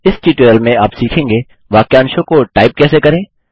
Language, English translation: Hindi, In this tutorial, you will learn how to: Type phrases